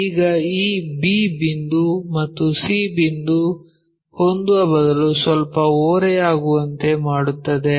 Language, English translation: Kannada, Now, instead of having this b point and c point coinciding with slightly make an offset